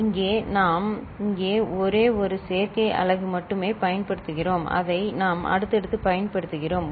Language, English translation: Tamil, Here we are using only one adder unit the one that you see here right and we are using it successively